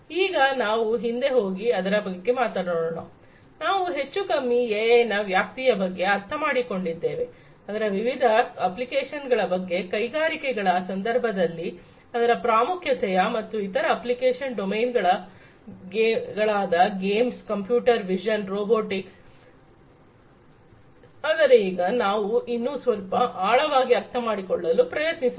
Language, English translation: Kannada, Let us now go back and talk about, we have understood more or less the scope of AI, the different applications of it, its importance in the context of industries and different other application domains like games, computer vision, robotics, etcetera, but let us now try to understand in little bit further depth